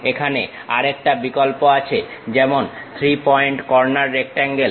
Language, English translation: Bengali, Here there is another option like 3 Point Corner Rectangle